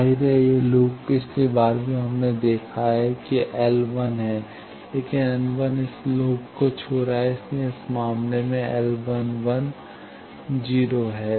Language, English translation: Hindi, Obviously, this loop last time also we have seen L 1 is there, but L 1 is touching this loop, so in this case L 11 will be 0